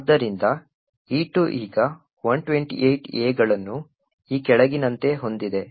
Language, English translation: Kannada, Therefore, E2 now contains 128 A’s as follows